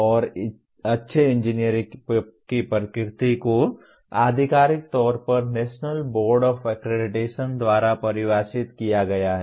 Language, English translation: Hindi, And the nature of good engineer is defined officially by the National Board of Accreditation